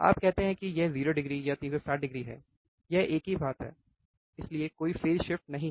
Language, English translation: Hindi, You says is 0 degree or 360 degree it is the same thing so, there is no phase shift